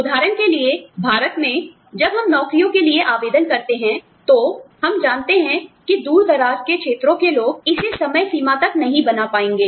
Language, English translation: Hindi, For example, in India, when we call from the applications for jobs, we know, that people from far flung areas, may not be able to make it, to the deadline